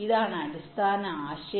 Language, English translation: Malayalam, this is the basic idea